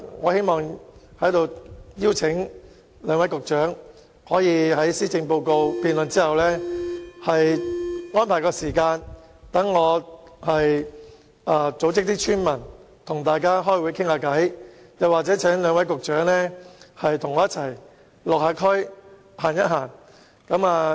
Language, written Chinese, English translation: Cantonese, 我在此邀請兩位局長在施政報告議案辯論結束後，安排時間讓我組織村民與他們召開會議，或請兩位局長與我一起到區內走走。, I hereby invite two Secretaries to reserve time after the motion debate on the Policy Address so that I can arrange villagers to meet them or they can personally visit the communities with me . The residents are welcoming